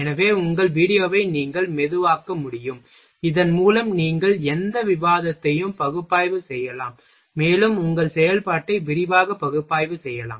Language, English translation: Tamil, So, that you can slow down your video so, that you can analysis any more detail, analyze the more detailed your operation